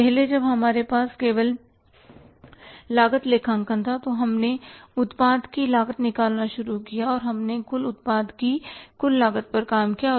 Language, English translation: Hindi, Now, earlier when we had the cost accounting only, we started working out the cost of the product and we worked out only the total cost of the product